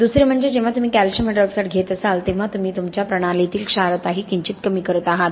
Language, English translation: Marathi, Secondly when you are taking up calcium hydroxide you are going to be slightly reducing your alkalinity in the system also